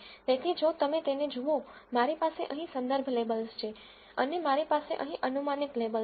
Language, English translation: Gujarati, So, if you look at it, I have the reference labels here and I have the predicted labels here